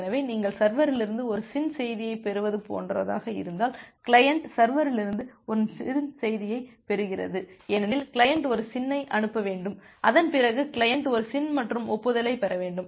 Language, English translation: Tamil, So, if that is the case like you are getting a SYN message from the server, the client is getting a SYN message from the server because ideally the client should sent a SYN and after that get the client should get a SYN plus acknowledgement